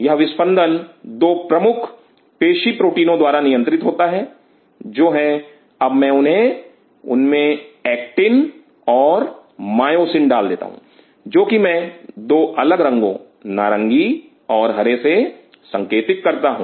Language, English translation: Hindi, These beatings are governed by the two major proteins of muscle, which are now let me put them in those are actin and myosin which I am putting in two different color orange and green